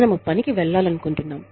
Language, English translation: Telugu, We want to go to work